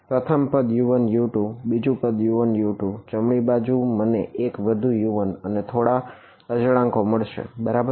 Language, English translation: Gujarati, First term U 1 U 2, second term U 1 U 2, right hand side is going to give me one more U 1 and some constants right